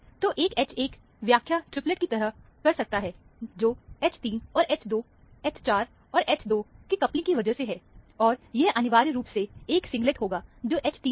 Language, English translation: Hindi, So, one can interpret H 1 to be a triplet, because of coupling to H 3 and H 2, H 4 and H 2; and, this would be, essentially, a singlet, which is H 3, for example